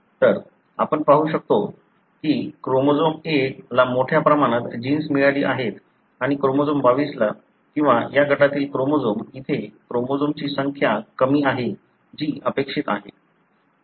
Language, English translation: Marathi, So, you can see that chromosome 1 has got a large number of genes and chromosome 22 or the chromosome that belong to this group, over here, have fewer number of chromosomes, which is expected